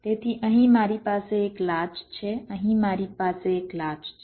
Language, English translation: Gujarati, ok, so here i have a latch, here i have a latch